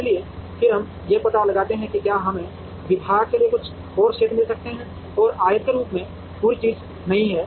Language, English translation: Hindi, So, then we explore and see whether we could get some more area here for the department, and not have the entire thing as the rectangle